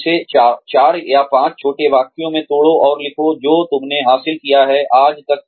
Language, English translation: Hindi, Break it up, into, maybe 4 or 5 short sentences, and write down, what you have achieved, till date